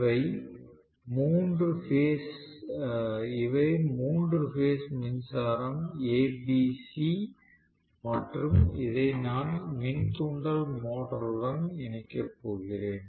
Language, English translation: Tamil, These are the three phase power supplies A B C and I am going to connect this to the induction motor